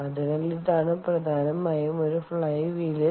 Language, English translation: Malayalam, ok, so this is essentially what a flywheel is